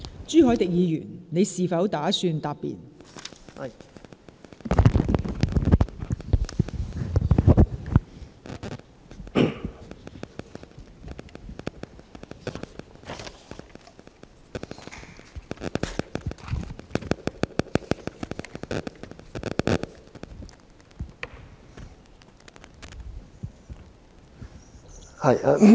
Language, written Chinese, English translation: Cantonese, 朱凱廸議員，你是否打算答辯？, Mr CHU Hoi - dick do you wish to reply?